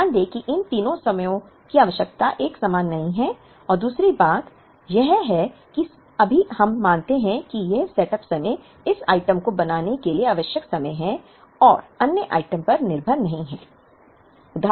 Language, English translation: Hindi, Note that these three t times need not be the same and secondly right now, we assume that this setup time, is time required to make this item and does not dependent on the other item